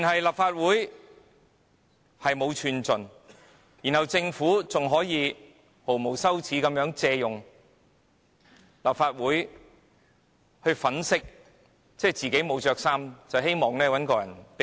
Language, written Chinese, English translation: Cantonese, 立法會毫無寸進，更被政府毫無廉耻地借立法會粉飾自己沒穿衣服的真相，希望有人借一件衣服給它。, The Legislative Council has not made the slightest progress and it has even been used by the Government to whitewash its nakedness shamelessly hoping that someone will clothe it